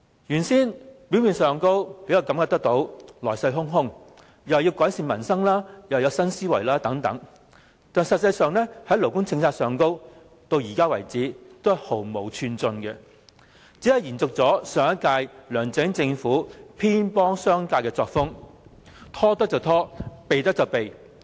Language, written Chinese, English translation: Cantonese, 現屆政府看似來勢洶洶，既說要改善民生，又說要有新思維，但在勞工政策上，至今毫無寸進，只是延續上屆梁振英政府偏幫商界的作風，拖得便拖，可避便避。, On the surface this Government of the current term has appeared to be vigorous in improving peoples livelihood and adopting new thinking yet in terms of labour policies no progress has been made so far . The current - term Government continues to favour the business sector as LEUNG Chun - ying did in the previous term simply resorting to procrastination and evasion